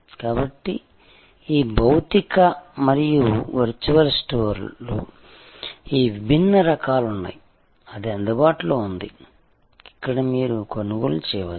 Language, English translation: Telugu, So, there are all these different types of these physical as well as virtual stores; that are available, where you can acquire